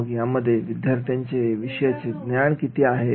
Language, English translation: Marathi, How much do students know about the subject